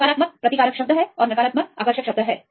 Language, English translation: Hindi, Positive is repulsive term and the negative is attractive term